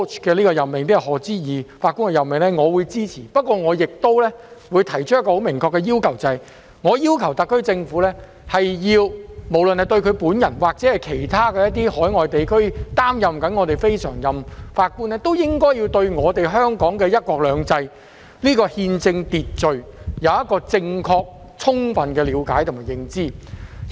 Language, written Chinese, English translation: Cantonese, 我支持這次賀知義法官的任命，但我想提出一個明確的要求，即特區政府須表明，無論賀知義本人，還是來自其他海外地區正擔任我們非常任法官的人，都應對香港"一國兩制"的憲政秩序有正確充分的了解和認知。, However I would like to specifically request the SAR Government to make it clear that Lord HODGE and those from overseas who are serving as our non - permanent judges should all have an accurate and comprehensive understanding and awareness of the constitutional order of one country two systems in Hong Kong